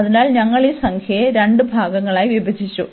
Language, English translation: Malayalam, So, we have break this integer into two parts